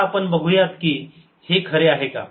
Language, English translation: Marathi, let us see this is true